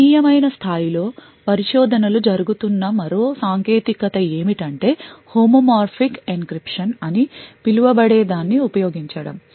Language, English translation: Telugu, Another technique where there is a considerable amount of research going on is to use something known as Homomorphic Encryption